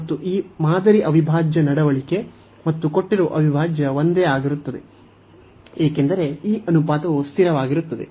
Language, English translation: Kannada, And behavior of this test integral, and the given integral is the same, because this ratio is coming to be constant